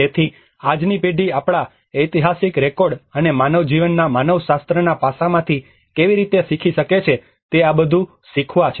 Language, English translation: Gujarati, \ \ So, these are all some learnings of how the today's generation can also learn from our historical records and the anthropological aspect of human life